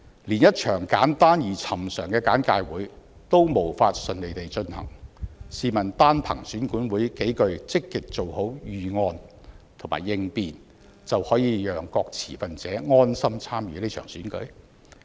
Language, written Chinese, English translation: Cantonese, 連一場簡單而尋常的簡介會也無法順利地進行，試問單憑選管會數句積極做好預案和應變，就可以讓各持份者安心參與這場選舉嗎？, If EAC could not even conduct a simple and regular briefing session smoothly how can EAC by saying that it has drawn up various security and contingency plans convince stakeholders that they can feel ease to participate in the Election?